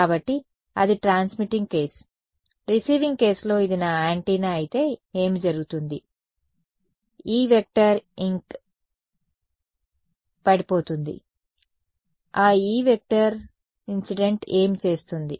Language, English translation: Telugu, So, that is transmitting case, in the receiving case what happens if this is my antenna what is happening some E incident is falling on it on this antenna, what will that E incident do